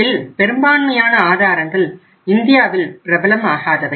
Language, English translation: Tamil, Most of these sources were not prevalent in India